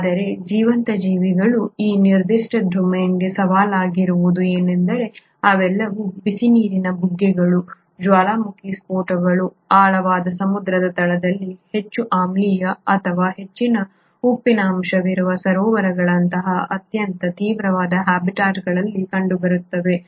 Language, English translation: Kannada, But what has been challenging with this particular domain of living organisms is that they all are found in very extreme habitats, such as the hot water springs, the volcanic eruptions, deep down in ocean beds and or an highly acidic or a high salt content lakes